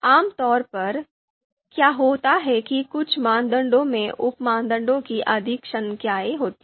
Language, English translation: Hindi, So typically what happens is some criteria you know you know some criteria they have more number of sub criteria